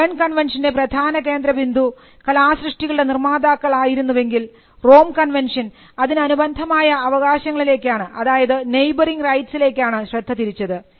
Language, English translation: Malayalam, While the focus of the Berne convention was rights of the authors the people who created the work, the Rome convention pertain to neighbouring rights; neighbouring rights meaning the rights of those other than the authors say the performer’s rights